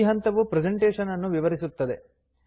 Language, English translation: Kannada, This step describes the presentation